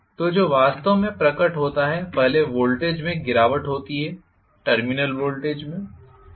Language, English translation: Hindi, So, what actually is manifested is 1 is there is the drop in the voltage, in the terminal voltage